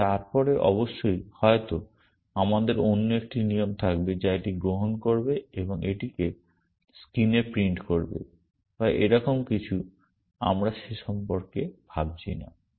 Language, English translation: Bengali, And then of course, maybe we will have another rule which will take it and print it onto the screen or something like that let us not bother about that